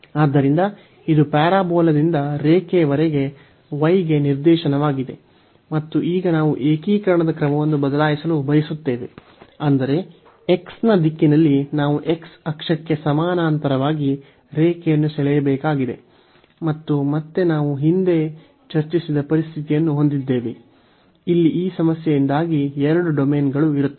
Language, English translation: Kannada, So, this is the direction for the y from the parabola to the line, and now we want to change the order of integration; that means, in the direction of x we have to draw the draw a line parallel to the x axis and again we have that situation which we have discussed earlier, that there will be 2 domains because of this problem here